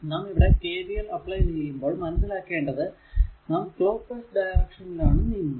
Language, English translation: Malayalam, If you apply KVL, look we are moving we are moving clock wise, right